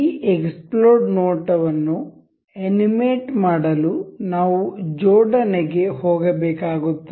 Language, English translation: Kannada, To animate this explode view, we will have to go this assembly